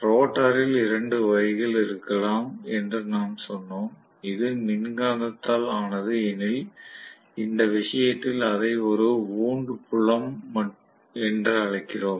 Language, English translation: Tamil, We said the rotor can be of two types, it can be made up of electromagnetic in which case we call it as wound field